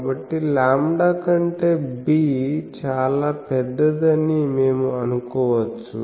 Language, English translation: Telugu, So, we can assume that b is much much larger than or you can say lambda